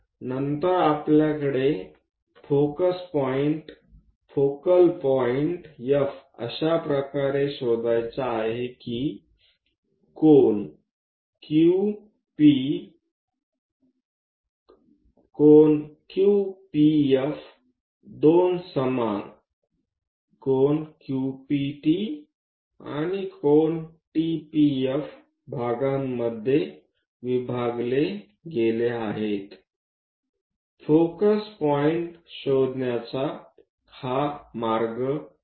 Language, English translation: Marathi, Then we have to locate focus point, focal point F such a way that, angle Q P, angle Q P F is divided into two equal parts by angle Q P T and angle T P F; this is the way one has to locate focus point